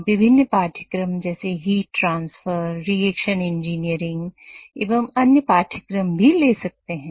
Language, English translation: Hindi, You also take different courses such as heat transfer, reaction engineering and other courses